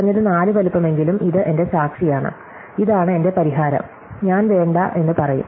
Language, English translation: Malayalam, And at least size 4 and this is my witness and this is my solution, I will say no